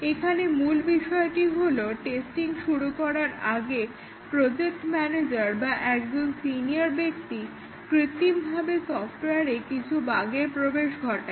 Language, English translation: Bengali, Here, the main idea is that before the testing starts, the project manager or a senior person introduces some bugs artificially into the software